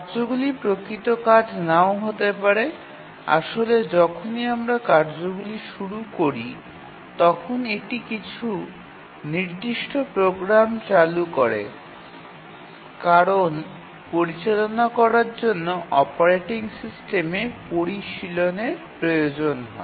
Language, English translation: Bengali, The tasks may not be real tasks actually even though we are calling tasks it may be just invoking running certain programs because handling tasks require sophistication on the part of operating system